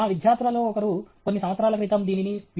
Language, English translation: Telugu, One of my students, some years ago, did this